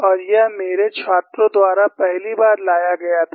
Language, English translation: Hindi, And this was brought about, that the, first time by my students